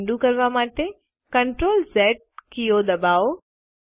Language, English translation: Gujarati, To undo the action, press CTRL+Z keys